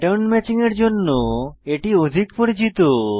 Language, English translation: Bengali, It is well known for pattern matching